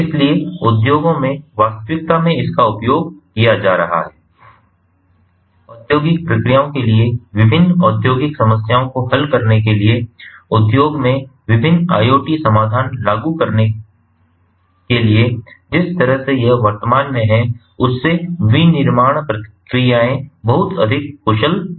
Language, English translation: Hindi, ah, different iot solutions are being implemented in the industry for solving different industrial problems to make industrial processes, manufacturing processes, much more efficient then the way it is at present